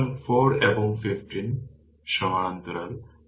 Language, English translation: Bengali, So, 4 and 15 are in parallel